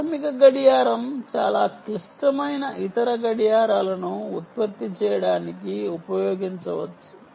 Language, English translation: Telugu, the basic clock can be used to generate other clocks